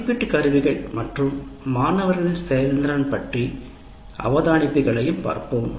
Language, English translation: Tamil, And we will also look at observations on assessment instruments and student performance